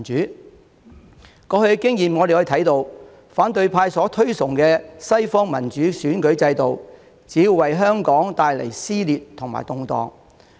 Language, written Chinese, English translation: Cantonese, "從過去的經驗可以看到，反對派所推崇的西方民主選舉制度，只會為香港帶來撕裂和動盪。, Past experience shows that the Western democratic electoral system highly regarded by the opposition will only bring about dissension and turmoil in Hong Kong